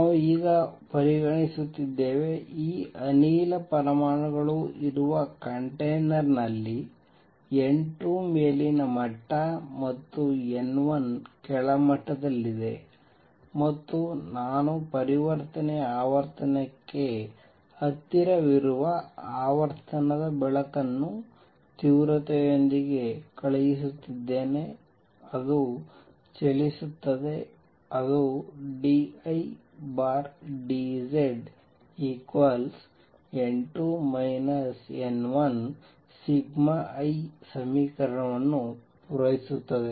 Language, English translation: Kannada, We are considering now I can make a general statement that a container in which there are these gas atoms with n 2 being the upper level and n 1being in the lower level and I am sending light of frequency close to the transition frequency with intensity I as it travels it satisfies the equation d I by d Z equals n 2 minus n 2 sigma I